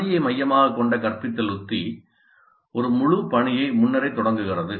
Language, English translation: Tamil, The task centered instructional strategy starts with the whole task upfront